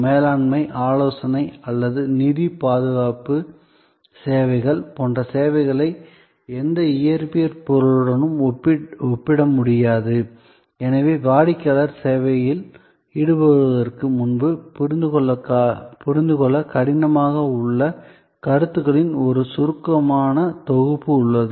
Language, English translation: Tamil, So, services like management consultancy or financial security services cannot be compared with any physical object and therefore, there is an abstract set of notions involved, which are difficult to comprehend before the customer engages with the service